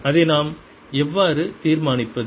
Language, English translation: Tamil, how do we decided that